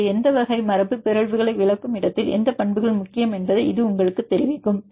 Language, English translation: Tamil, So, this will tell you which properties are important where explaining which type of mutants